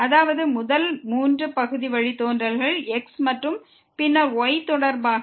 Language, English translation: Tamil, This means the first three partial derivative with respect to and then with respect to